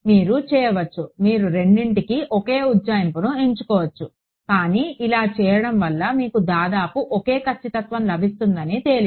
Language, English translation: Telugu, You can, but it I am giving you even you can choose the same approximation for both, but it turns out that doing this gives you almost the same accuracy right